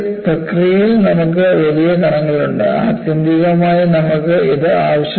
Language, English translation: Malayalam, In the process, you have large particles; ultimately, you want this